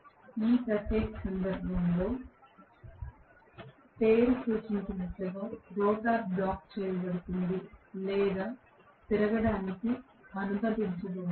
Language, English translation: Telugu, So, as the name indicates in this particular case rotor will be blocked or it will not be allowed to rotate